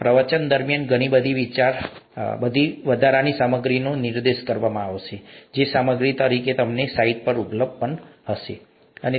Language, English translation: Gujarati, A lot of additional material will be pointed out during the lectures as material that is available to you on the site and so on